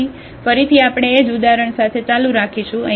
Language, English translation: Gujarati, So, again we will continue with the same example